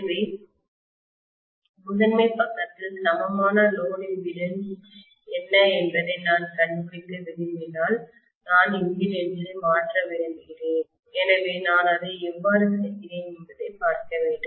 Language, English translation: Tamil, So if I want to find out what is the equivalent load impedance on the primary side, so I want to transfer the impedance, so I have to see how I do it